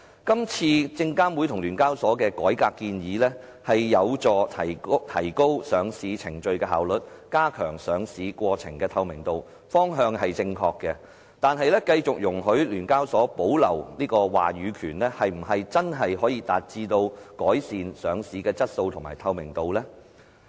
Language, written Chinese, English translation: Cantonese, 今次證監會及聯交所的改革建議有助提高上市程序的效率，加強上市過程的透明度，方向是正確的，但繼續容許聯交所保留話語權，是否真的可以達致改善上市的質素及透明度呢？, The reform proposal of SFC and SEHK this time around can help enhancing the efficiency and transparency of listing process thus the direction is correct . However can we really achieve the enhancement of listing quality and transparency if we continue to allow SEHK to retain its say?